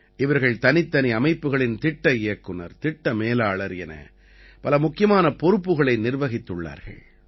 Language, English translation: Tamil, They have handled many important responsibilities like project director, project manager of different systems